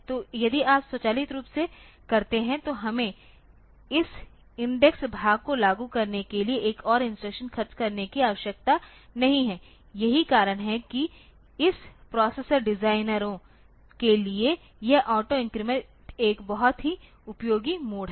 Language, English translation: Hindi, So, if you if that is automatically done then we do not have to spend another instruction for implementing this index part that that is why this auto increment is a very useful mode for this processor designers